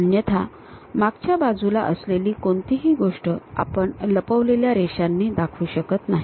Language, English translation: Marathi, Otherwise, anything at back side we do not show it by hidden lines